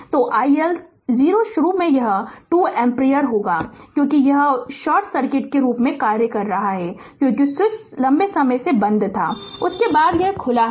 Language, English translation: Hindi, So, i L 0 initially it will be 2 ampere right it will because, it is it is acting as short short circuit because switch was closed for a long time after that it was open